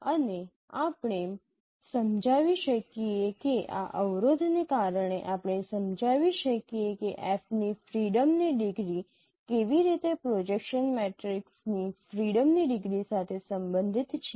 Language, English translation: Gujarati, And we can explain that because of this constraint we can explain how degree of freedom of F is related to the degree of freedom of projection matrices